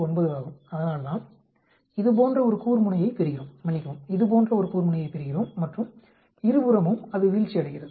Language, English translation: Tamil, 9, that is why we get like peak like this, sorry, we get a peak like this and both side it is falling